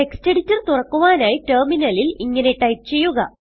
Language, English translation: Malayalam, To open the text editor, type on the terminal